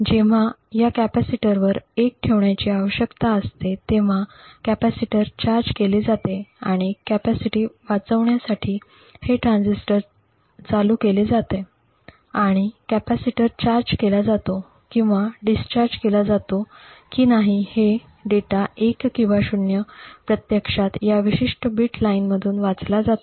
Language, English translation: Marathi, So when a 1 needs to be stored on this capacitor the capacitor is charged and in order to read the capacitance this transistor is turned ON and the data either 1 or 0 whether the capacitor is charged or discharged is actually read through this particular bit line